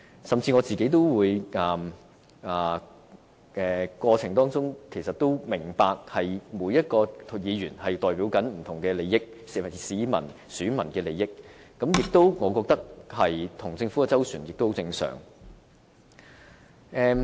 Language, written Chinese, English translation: Cantonese, 甚至我也明白在這個過程中，每一位議員正代表不同市民和選民的利益，我認為跟政府周旋是相當正常。, The Government eventually gave in . In the process I understand that different Members are actually representing the interests of different people and voters and I think it is just normal for us to negotiate with the Government for concession